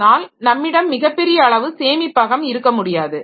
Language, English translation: Tamil, But we cannot have very, very large amount of storage